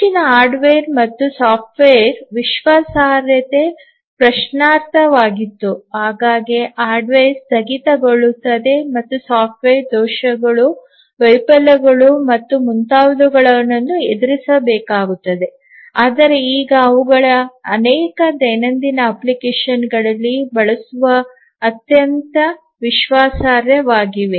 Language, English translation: Kannada, Earlier the hardware and software reliability was questionable, often the hardware will shut down the software will encounter bugs, failures and so on, but now they have become extremely reliable for them to be used in many many daily applications